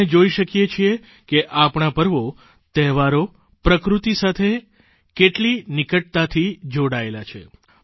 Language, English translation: Gujarati, We can witness how closely our festivals are interlinked with nature